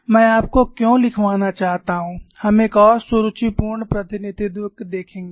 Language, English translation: Hindi, Why I want to you to write is, we would see another elegant representation